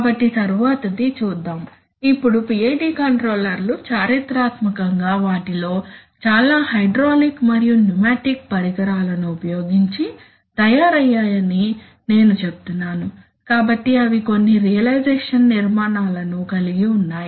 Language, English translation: Telugu, So coming to the next one, now as I was telling that PID controllers were, historically many of them were made if, using hydraulic and pneumatic devices, so they used to have you know certain realization structures